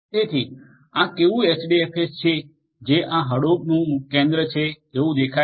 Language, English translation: Gujarati, So, this how this HDFS which is central to Hadoop looks like